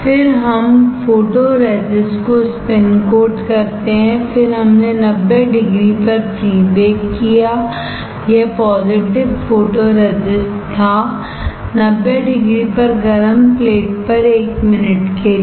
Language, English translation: Hindi, Then, we spin coated photoresist, then we did pre bake at 90 degree this was positive photoresist; 90 degree for 1 minute on hot plate